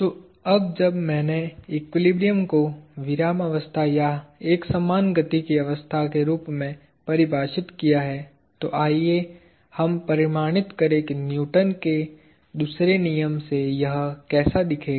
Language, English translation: Hindi, So now that I have defined equilibrium as a state of rest or uniform motion, let us quantify what it would look like from Newton’s second law